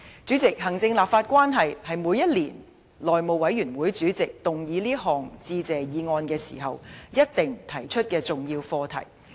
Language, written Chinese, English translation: Cantonese, 主席，行政立法關係，是每年內務委員會主席動議這項致謝議案時一定會提出的重要課題。, President executive - legislature relationship is an important issue that the House Committee Chairman will certainly raise in moving the Motion of Thanks every year